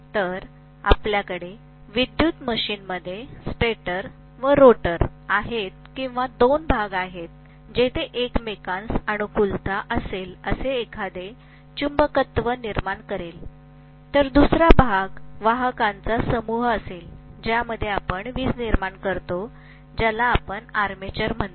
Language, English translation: Marathi, So we have stator and rotor are the 2 portions in an electrical machine where they may be accommodating, one will be accommodating field which will produce magnetism, the other one may be accommodating the bunch of conductors in which electricity is produced which we call as armature